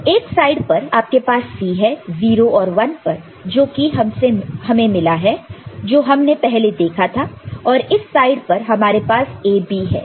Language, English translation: Hindi, So, on one side you have got C at 0 and 1 which is similar to what you had seen before and this side we have got AB